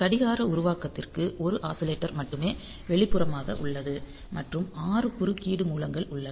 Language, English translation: Tamil, So, that is external only 1 oscillator is there for the clock generation 6 interrupts sources